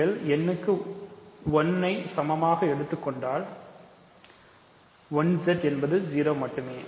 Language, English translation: Tamil, So, if you take n equal to 1, 1 Z is just 1 Z